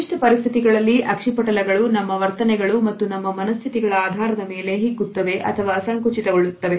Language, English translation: Kannada, In given light conditions pupils will either dilate or contract as our attitudes and as our moods change